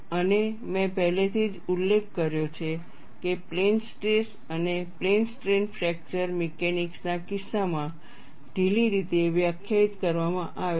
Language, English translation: Gujarati, And I have already mentioned the plane stress, and plane strains are loosely defined in the case of fracture mechanics